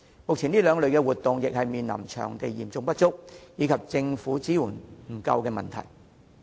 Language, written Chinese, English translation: Cantonese, 目前，這兩類活動均面對場地嚴重短缺，以及政府支援不足的問題。, At present these two types of activities are plagued by the problems of acute shortage of venues and inadequate support from the Government